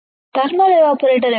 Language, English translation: Telugu, What is evaporation